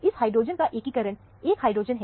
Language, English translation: Hindi, The integration of this hydrogen is 1 hydrogen